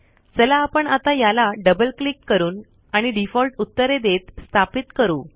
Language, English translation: Marathi, Let us now install it by double clicking and giving default answers